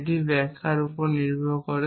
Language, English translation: Bengali, depended upon the interpretation